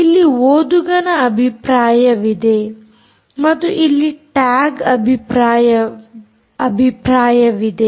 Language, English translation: Kannada, here is the readers view and here is the tags view